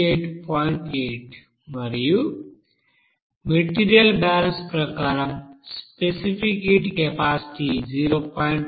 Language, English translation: Telugu, 8 as per material balance into you know specific heat capacity is given 0